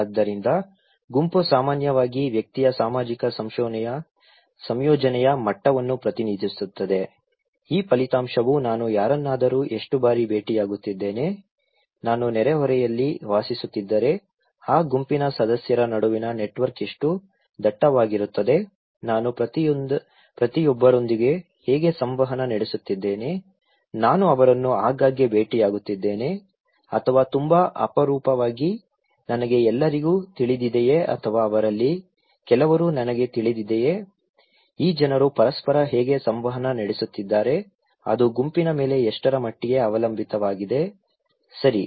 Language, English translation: Kannada, So, group generally represent the degree of social incorporation of the individual, this result how often I am meeting someone, how dense is the network between the members of that group if I am living in the neighbourhood, how I am interacting with each of them, am I meeting them very frequently or very rarely, do I know everyone or do I know some of them so, how this people are interacting with each other, what extent it depends on a group, okay